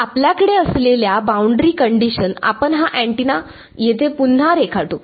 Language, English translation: Marathi, So, the boundary conditions that we have let us redraw this antenna over here